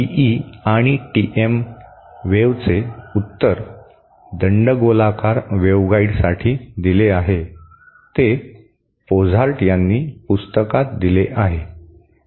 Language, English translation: Marathi, The solution for TE and TM waves is given in for cylindrical waveguide is given in the book by Pozart